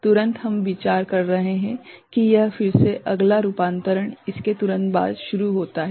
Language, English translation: Hindi, Immediately we are considering, that it is again next conversion starts immediately after it